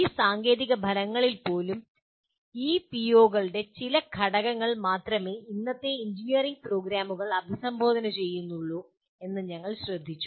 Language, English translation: Malayalam, And even in this technical outcomes, we further noted that only some elements of these POs are addressed by the present day engineering programs